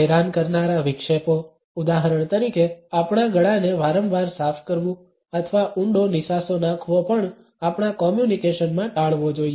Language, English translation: Gujarati, Annoying distractions for example, clearing our throats repeatedly or sighing deeply should also be avoided in our communication